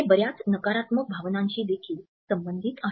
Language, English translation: Marathi, And this is also associated with many negative feelings